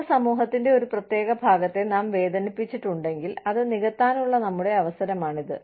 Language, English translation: Malayalam, If we have hurt a certain part of the community in the past, this is our chance, to make up for it